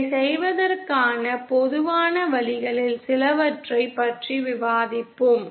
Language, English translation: Tamil, Will discuss a few of the common ways to do this